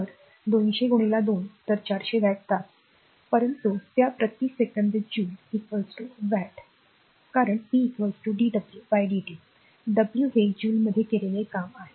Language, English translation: Marathi, So, 200 into 2 so, 400 watt hour right, but we know that joule per second is equal to watt because you have seen p is equal to d w by dt w is the work done so, in joule